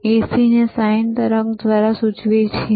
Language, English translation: Gujarati, We indicate AC by sine wave